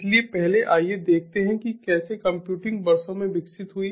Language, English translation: Hindi, so first let us have a quick glance through how computing evolved over the years